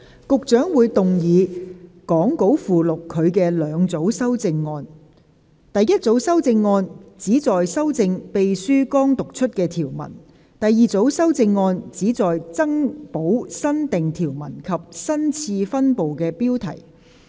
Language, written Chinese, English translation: Cantonese, 局長會動議講稿附錄他的兩組修正案：第一組修正案旨在修正秘書剛讀出的條文；第二組修正案旨在增補新訂條文及新次分部的標題。, The Secretary will move two groups of amendments as set out in the Appendix to the Script the first group of amendments seek to amend the clauses just read out by the Clerk; the second group of amendments seek to add the new clauses and the new subdivision heading